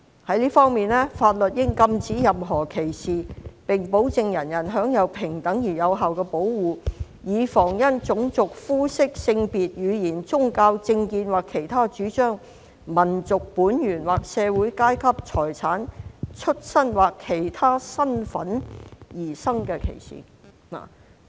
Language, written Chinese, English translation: Cantonese, 在這方面，法律應禁止任何歧視，並保證人人享有平等而有效的保護，以防因種族、膚色、性別、言語、宗教、政見或其他主張、民族本源或社會階段、財產、出生或其他身份而生的歧視。, In this respect the law shall prohibit any discrimination and guarantee to all persons equal and effective protection against discrimination on any ground such as race colour sex language religion political or other opinion national or social origin property birth or other status